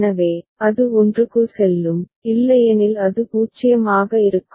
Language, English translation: Tamil, So, it will go to 1 otherwise it will remain 0